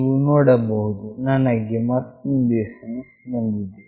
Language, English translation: Kannada, You can see I have received another SMS